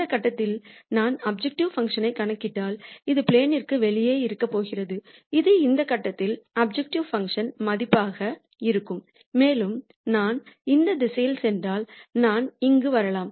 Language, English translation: Tamil, And if I compute the objective function at this point it is going to be outside the plane this is going to be the value of the objective function at this point and so on and if I go this direction I might come here and so on